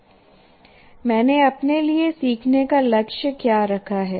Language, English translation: Hindi, So now what is the learning goal I have put for myself